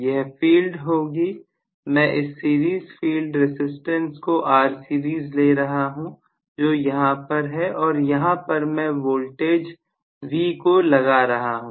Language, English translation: Hindi, So, let me call this as series field resistance that I am going to have and I am applying a voltage V here